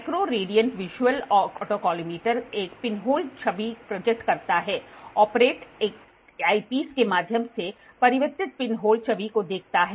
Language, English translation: Hindi, The micro radiant visual autocollimator projects a pinhole image; the operator views the reflected pinhole image through an eyepiece